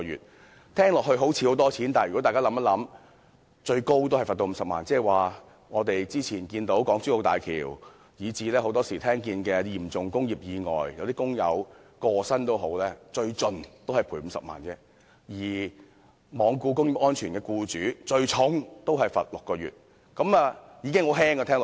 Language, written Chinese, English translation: Cantonese, 這聽起來好像很多錢，但如果大家想想，最高罰款只是50萬元，這即是說之前我們看到港珠澳大橋的意外，以至很多時候聽到的嚴重工業意外，即使有工友身亡，最高也只是賠償50萬元，而對於罔顧工業安全的僱主，最重也只是監禁6個月。, It sounds to be a large amount of money but think about this The maximum fine is only 500,000 . It means that for the accident at the Hong Kong - Zhuhai - Macao Bridge that occurred some time ago as well as the serious industrial accidents that we can often hear of even if fatalities of workers are involved the maximum compensation is only 500,000 and for employers who neglected industrial safety the maximum penalty is just six months imprisonment